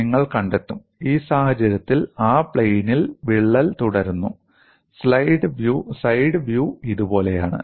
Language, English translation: Malayalam, You will find, in this case, the crack proceeds in the plane, and the side view is like this